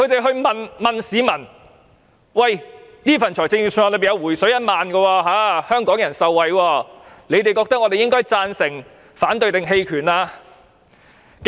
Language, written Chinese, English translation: Cantonese, 他們問市民，此份預算案有"回水 "1 萬元的措施，令香港人受惠，你們覺得我們應該贊成、反對還是棄權？, They have asked the public whether they should vote for the Budget vote against it or abstain from voting given that the Budget contains the measure to rebate 10,000